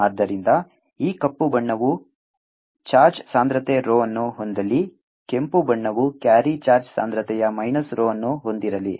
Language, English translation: Kannada, so let this black one carry charge density rho, the red one carry charge density minus rho